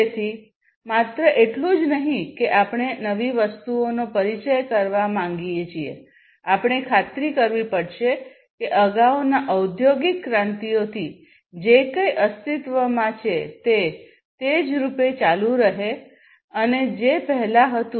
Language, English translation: Gujarati, So, not only that we want to introduce newer things, but also we have to ensure that whatever has been existing from the previous industry revolutions continue and continue at least in the same form that it was before